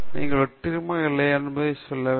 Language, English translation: Tamil, Time will decide whether you are successful or not